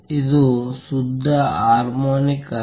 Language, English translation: Kannada, It is not a pure harmonic